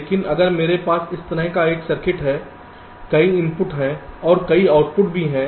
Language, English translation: Hindi, but if i have a circuit like this, well, lets say, there are multiple inputs and also multiple outputs